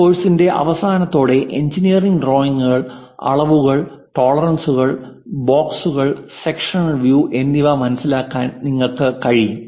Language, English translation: Malayalam, End of the course you will be in a position to understand from engineering drawings, the dimensions, tolerances, boxes and sectional views